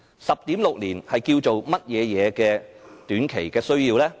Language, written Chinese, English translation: Cantonese, 10.6 年是甚麼短期需要呢？, What short - term need lasts 10.6 years?